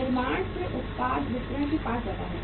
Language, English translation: Hindi, The product from the manufacturer it goes to distributor